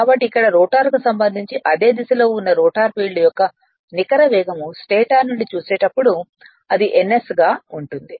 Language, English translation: Telugu, With respect to the rotor in the same direction the the net speed of the rotor field as seen from the stator is your n s